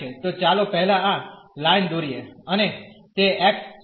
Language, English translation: Gujarati, So, let us draw first this line and that will be x 0